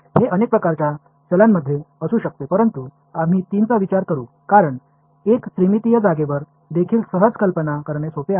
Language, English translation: Marathi, It could be of any number of variables, but we will stick with three because where even a three dimensional space it is easy to visualize